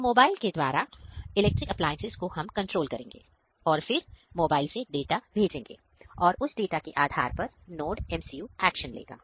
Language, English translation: Hindi, So, through mobile we will control our electrical appliances, from mobile we will send the data, based on that data, NodeMCU will take the action